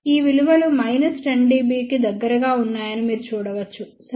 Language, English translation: Telugu, You can see that these values are around minus 10 dB, ok